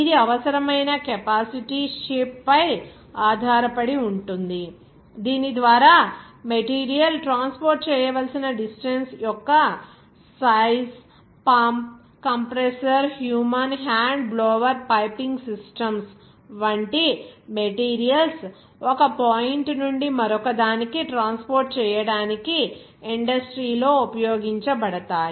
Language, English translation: Telugu, That depends on the necessary capacity shape also the size of the material of the distance through which the material has to be transported like pump compressor human hand blower piping systems are used for transport in the material from one a point to another in industry